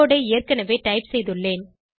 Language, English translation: Tamil, I have already typed the code